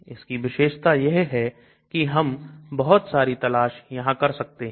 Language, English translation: Hindi, So the beauty is we can do lot of search